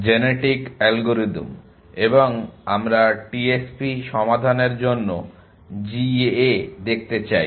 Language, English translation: Bengali, Genetic algorithms and we want to look at GAs for solving TSP